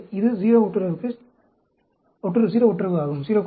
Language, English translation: Tamil, So, this is a 0 correlation